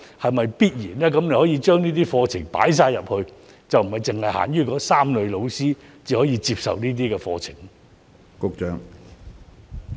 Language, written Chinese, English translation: Cantonese, 局長可否將相關課程納入培訓中，而不是限於那3類教師才可以接受這些課程？, Can the Secretary incorporate the related programmes into the training for teachers in general without restricting to only three types of teachers?